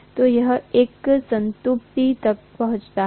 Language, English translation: Hindi, So it reaches a saturation